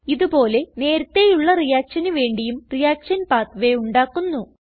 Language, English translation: Malayalam, Likewise, I will create the reaction pathway for the previous reaction